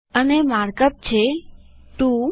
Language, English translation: Gujarati, And the markup is: 2